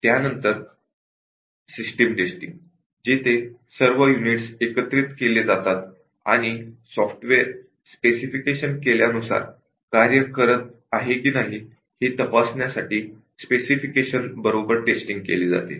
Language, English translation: Marathi, Then finally, the System testing where all the units have been integrated and tested against the specification to check if the software is working as you are specified